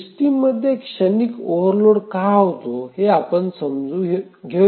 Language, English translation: Marathi, Let's understand why transient overloads occur in a system